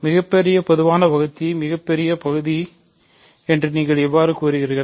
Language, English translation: Tamil, And how do you phrase the greatest common divisor, the greatest part